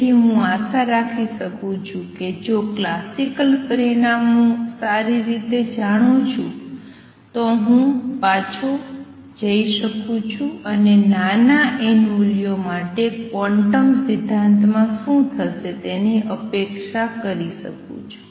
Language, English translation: Gujarati, Therefore I can hope if I know the classic results well, that I can go back and go for a small n values and anticipate what would happen in quantum theory